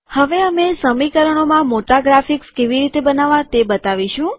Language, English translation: Gujarati, We will now show to create large graphics in equations